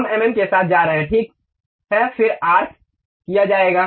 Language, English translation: Hindi, We are going with mm OK, then arc will be done